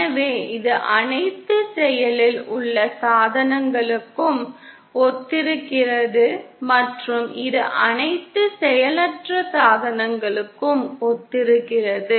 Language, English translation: Tamil, So this corresponds to all active devices and this corresponds to all passive devices